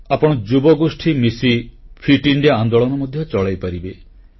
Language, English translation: Odia, In fact, all you young people can come together to launch a movement of Fit India